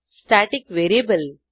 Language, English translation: Marathi, Static variable eg